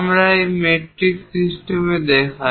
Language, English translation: Bengali, 50, it is a metric system